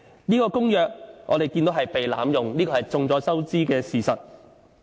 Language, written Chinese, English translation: Cantonese, 這公約被濫用，已經是眾所周知的事實。, It is widely known that the Convention has been abused